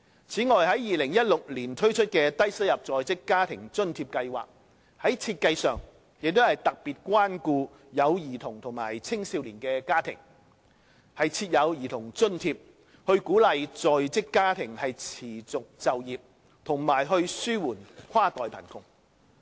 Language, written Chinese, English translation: Cantonese, 此外，在2016年推出的低收入在職家庭津貼計劃，在設計上也特別關顧有兒童和青少年的家庭，設有兒童津貼，以鼓勵在職家庭持續就業，紓緩跨代貧窮。, Moreover the Low - income Working Family Allowance introduced in 2016 is also designed to particularly take care of families with children and youngsters by providing a Child Allowance to encourage working families to stay in active employment and ease inter - generational poverty